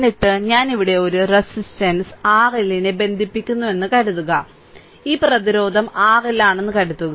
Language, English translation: Malayalam, And then suppose, I connect a resistance R L here suppose this resistance is R L we call generally R L means stands for a load resistance